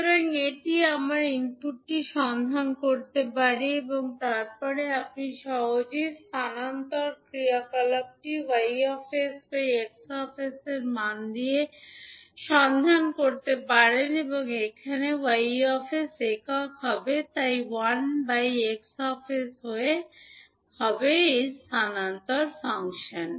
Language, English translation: Bengali, So, this we can find out the input and then you can find out easily the transfer function by giving the value of, transfer function would be that a Y s upon X s again, here Y s would be unit so 1 upon X s would be the transfer function for this particular case